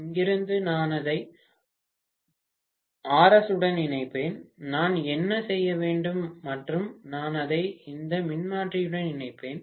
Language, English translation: Tamil, From here I will connect it to Rs and whatever I have to do and then I will connect it to this transformer